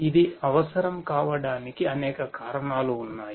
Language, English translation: Telugu, There are number of reasons why it is required